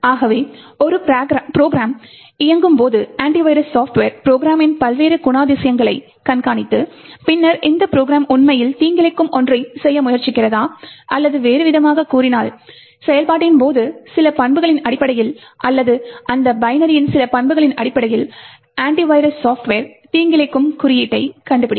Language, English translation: Tamil, So when a program executes the anti virus software would monitor various characteristics of the program and then identify whether this program is actually trying to do something malicious or in other words, the anti virus software would detect malicious code, based on certain characteristics during the execution or based on certain characteristics of the binary of that particular executable